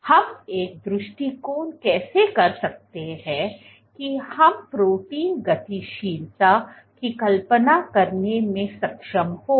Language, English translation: Hindi, So, how can we devise an approach such that we are able to visualize protein dynamics